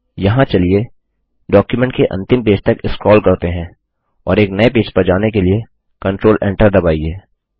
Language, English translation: Hindi, Here let us scroll to the last page of the document and press Control Enter to go to a new page